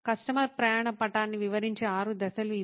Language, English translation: Telugu, These are the six steps of detailing out a customer journey map